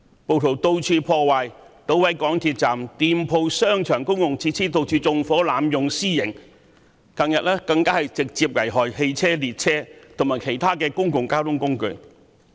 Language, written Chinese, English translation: Cantonese, 暴徒四處破壞，搗毀港鐵站、店鋪、商場及公共設施，又四處縱火、濫用私刑，近日更直接危害汽車、列車，以及其他公共交通工具。, The rioters caused destructions everywhere vandalized MTR stations shops shopping malls and public facilities set fires in various places and made vigilante attacks arbitrarily . In recent days they even vandalized cars trains and other means of public transport